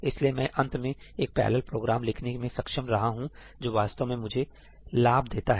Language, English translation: Hindi, So, I have finally been able to write a parallel program which actually gives me benefit